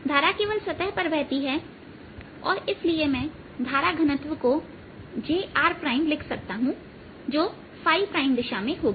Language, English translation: Hindi, the current flows only on the surface and therefore i can write current density, j r prime, which is in the phi prime direction